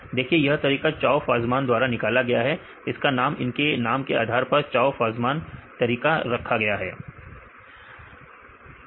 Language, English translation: Hindi, See Chou Fasman derived this method, this is named after their names as Chou Fasman method right